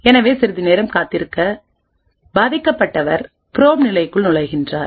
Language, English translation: Tamil, So, after waiting for some time the victim enters the probe phase